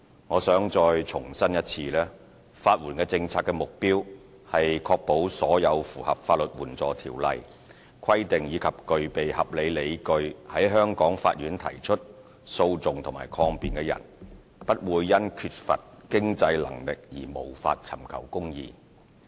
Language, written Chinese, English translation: Cantonese, 我想再一次重申，法援政策的目標是確保所有符合《法律援助條例》規定及具備合理理據在香港法院提出訴訟或抗辯的人，不會因缺乏經濟能力而無法尋求公義。, I wish to reiterate that the policy objective of legal aid is to ensure that any person who can meet the requirements under the Legal Aid Ordinance and has reasonable grounds for taking or defending a legal action is not deprived from doing so because of lack of means